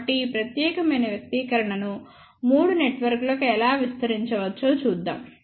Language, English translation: Telugu, So, let us see how this particular expression can be expanded to three networks